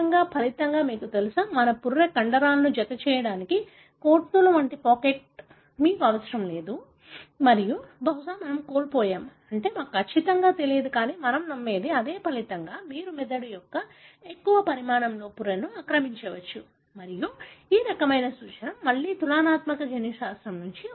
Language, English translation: Telugu, As a result, you know, our skull, you do not need to have a pocket like the apes to have the muscle attached to them and possibly we have lost, I mean we do not know for sure, but that is what we believe and as a result you can occupy the skull with more volume of the brain and this kind of suggestion came from again comparative genomics